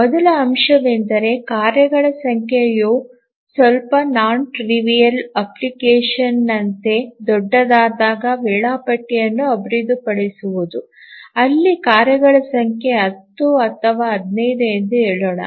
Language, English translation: Kannada, The first point is that how do we really develop the schedule when the number of tasks become large, like slightly non trivial application where the number of tasks are, let's say, 10 or 15